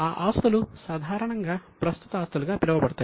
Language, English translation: Telugu, These assets are known as current assets